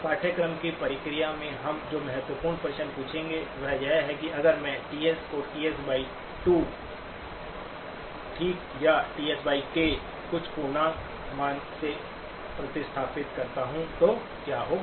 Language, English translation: Hindi, The important questions that we will be asking in the process of the course, is that what happens if I replace TS with TS by 2, okay or TS by k, some integer value